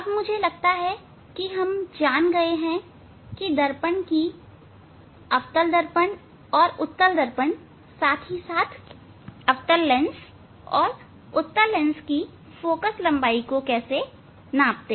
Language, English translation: Hindi, Then I think we will know how to measure the focal length of mirror: concave mirror and convex mirror as well as lens: concave lens and convex lens